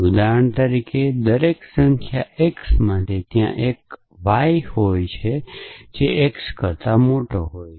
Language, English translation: Gujarati, So, for example, for every number x there exist a number y which is bigger than x